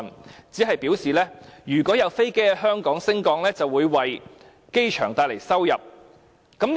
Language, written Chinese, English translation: Cantonese, 政府只表示，如果有飛機在香港升降，便會為機場帶來收入。, The Government only said that aircraft landing and taking off in Hong Kong would bring revenue to the airport